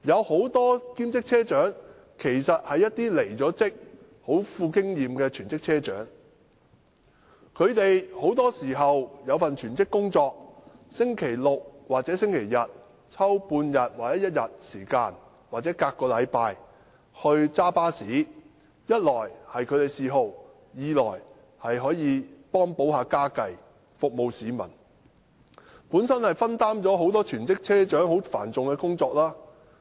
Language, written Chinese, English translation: Cantonese, 很多兼職車長其實是極具經驗的離職全職車長，本身也有全職工作，在星期六或星期日抽出1天或半天，或每隔1個星期駕駛巴士，一方面這是他們的嗜好，另一方面可幫補家計和服務市民，亦分擔了全職車長繁重的工作。, Having their own full - time jobs they spared a day or half - day on Saturdays or Sundays to drive the bus or did so every other week . On the one hand it is their hobby and on the other it can help them make ends meet and serve the public . They could also share the heavy workload of full - time bus captains